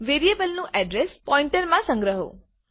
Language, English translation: Gujarati, Store the address of variable in the pointer